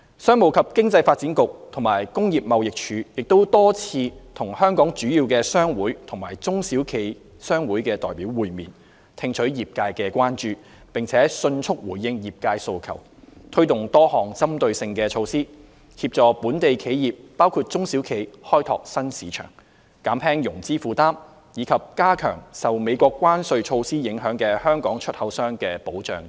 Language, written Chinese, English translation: Cantonese, 商務及經濟發展局和工業貿易署亦多次與香港主要商會及中小企商會代表會面，聽取業界關注，並迅速回應業界訴求，推出多項針對性措施，協助本地企業包括中小企開拓新市場、減輕融資負擔，以及加強受美國關稅措施影響的香港出口商的保障等。, The Commerce and Economic Development Bureau and the Trade and Industry Department have also met with major local chambers and associations of SMEs many times to gauge their concerns promptly responded to the trades needs and introduced a number of targeted measures to assist local enterprises including SMEs in exploring new markets alleviating financing burden and strengthening protection for Hong Kong exporters affected by the United States tariff measures etc